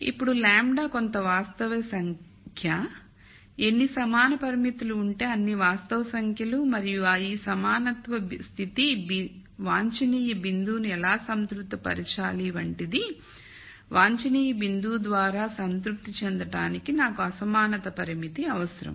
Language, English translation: Telugu, Now the lambda is some real number, so as many real numbers as there are equality constraints and much like how I still need to have this equality condition satis ed the optimum point, I need to have the inequality constraint also to be satisfied by the optimum point